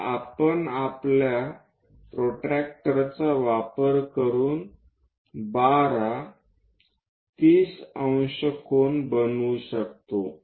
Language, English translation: Marathi, So, we can use our protractor to make 12 threes a